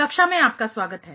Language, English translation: Hindi, Welcome to the class